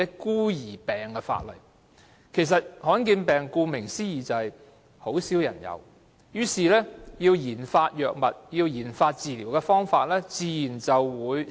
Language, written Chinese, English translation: Cantonese, 顧名思義，罕見疾病便是很少人患上的病，因此研發藥物或治療方法的工作也自然少。, As the name suggests rare diseases are diseases which only affect a very small number of people . It is thus natural that not much development work is focused on these drugs and treatment methods